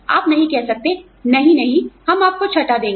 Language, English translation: Hindi, You cannot say, no, no, we will give you sixth